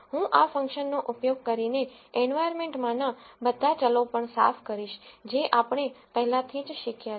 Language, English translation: Gujarati, I am also going to clear all the variables in the environment using this function which we have already learnt